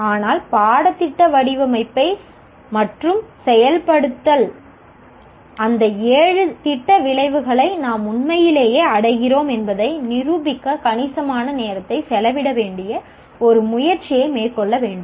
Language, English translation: Tamil, That is where the curriculum design and implementation will have to spend significant amount of time to kind of demonstrate that we are truly attaining those seven program outcomes